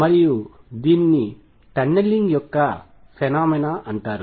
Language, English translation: Telugu, And this is known as the phenomena of tunneling